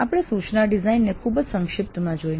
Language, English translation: Gujarati, So we looked at the instruction design very briefly